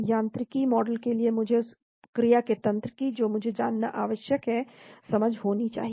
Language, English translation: Hindi, For mechanistic model I need to have an understanding of the mechanism of action I need to know